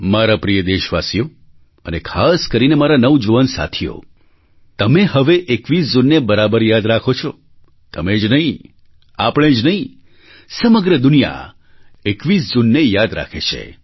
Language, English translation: Gujarati, My dear countrymen and especially my young friends, you do remember the 21stof June now;not only you and I, June 21stremains a part of the entire world's collective consciousness